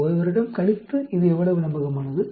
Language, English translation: Tamil, After 1 year how reliable it is